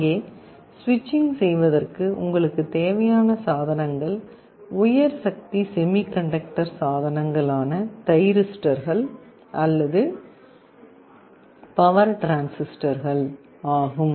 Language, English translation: Tamil, Here the kind of devices you require for the switching are high power semiconductor devices like thyristors or power transistors, they can switch very high currents at high voltages